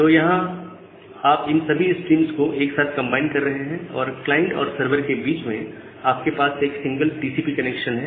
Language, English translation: Hindi, So, here you are combining all these streams together and have a single TCP connection between the server and a client